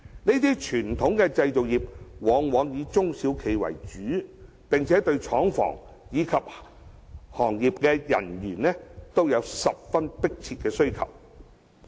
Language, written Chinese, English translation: Cantonese, 這些傳統製造業以中小企為主，並對廠房及行業從業員均有十分迫切的需求。, The enterprises engaging in traditional manufacturing industries are mainly SMEs and they have a keen demand for factories and practitioners in the industries concerned